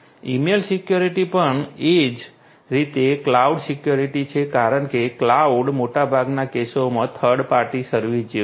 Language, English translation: Gujarati, Email security also likewise and cloud security, because cloud is like a third party service in most of the cases